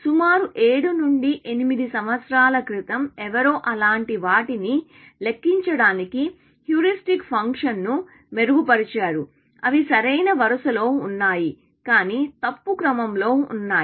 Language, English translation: Telugu, About 7 to 8 years ago, somebody enhanced the heuristic function to count for such things, that they are in the correct row, but in the wrong order